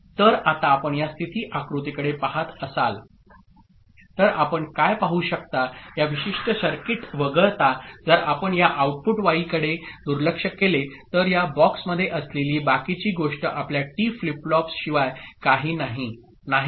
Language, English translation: Marathi, So what you can see if you now look at this state diagram for this particular circuit except if you ignore this output why rest of the thing which is there in this box is nothing but your t flip flip flip isn't it